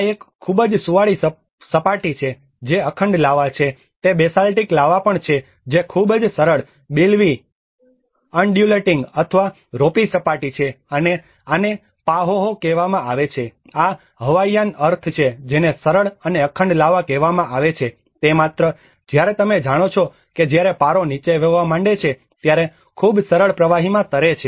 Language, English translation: Gujarati, \ \ \ This is a very smooth surface which is unbroken lava is also a basaltic lava that has a very smooth, billowy, undulating or a ropy surface and this is called a Pahoehoe and this is a Hawaiian meaning which is called smooth and unbroken lava, it just floats in a very smooth liquid like you know when the mercury starts flowing down